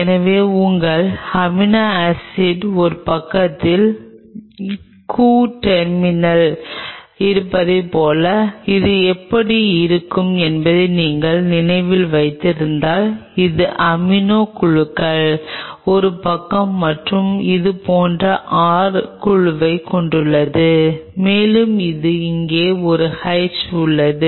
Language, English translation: Tamil, So, if you remember this is how your amino acids will look like it has coo terminal on one side it is amino groups one other side and it has a R group here and it has a H here right